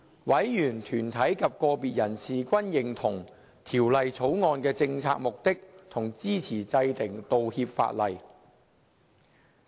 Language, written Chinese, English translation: Cantonese, 委員、團體及個別人士均認同《條例草案》的政策目的及支持制定道歉法例。, Members of the Bills Committee deputations and individuals agreed to the policy objective of the Bill and supported the enactment of the apology legislation